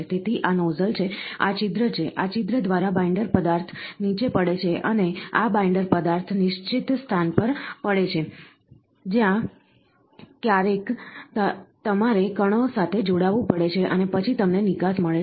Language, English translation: Gujarati, So, these are nozzle, these are orifice, through this orifice the binder material falls down and this binder material drops on the location, where ever you have to join the particles and then you get an output